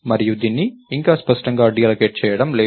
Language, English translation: Telugu, You are not explicitly deallocating it yet